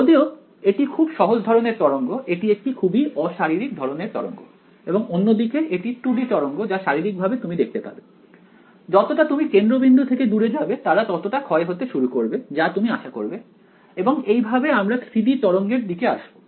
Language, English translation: Bengali, So even though it is a simplest kind of wave, it is the most unphysical kind of wave this on the other hand these are 2 D waves, which physically you can see that they as you go far away from the center they begin to decay of which is what we expect ok and subsequently we will come to 3 D waves also